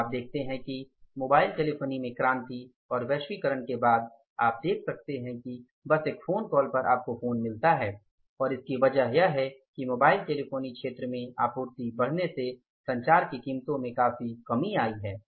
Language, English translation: Hindi, Today you see that after globalization and this revolution in the mobile telephony you see that just on a phone call you get the phone and it is because of the increase in the supply in the mobile telephony sector your prices of the communication have seriously come down